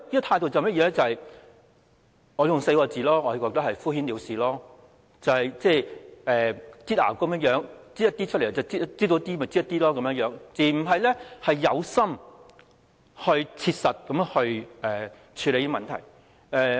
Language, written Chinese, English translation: Cantonese, 我可以用4個字來形容，便是"敷衍了事"，仿如擠牙膏般，斷斷續續地擠出一些，而不是有心、切實地處理問題。, I can describe it in a word which is perfunctory . Like squeezing toothpaste out of a tube the Government has worked in a piecemeal manner rather than addressing the problem sincerely and practically